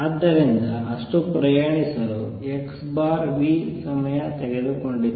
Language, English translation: Kannada, So, it took time x by v to travel that much